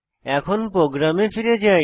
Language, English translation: Bengali, Let us move back to our program